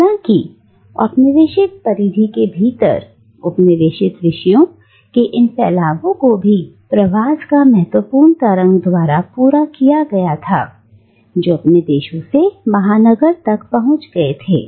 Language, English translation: Hindi, However, these dispersions of colonised subjects within the colonial periphery was also supplemented by significant waves of migration that reached from the colonies to the metropolis